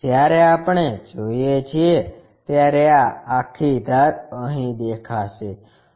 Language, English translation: Gujarati, When we are looking this entire edge will be visible here